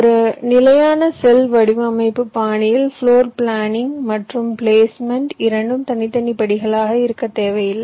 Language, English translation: Tamil, in a standard cell design style, floor planning and placement need not be two separate steps